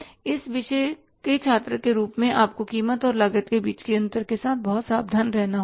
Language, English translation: Hindi, As a student of this subject you have to very carefully distinguish between the difference between the price and the cost